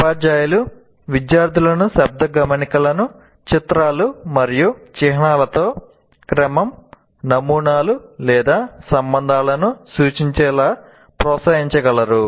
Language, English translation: Telugu, Teachers can encourage students to link verbal notes with images and symbols that show sequence, patterns, or relationship